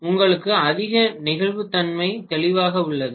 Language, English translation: Tamil, You have more flexibility clearly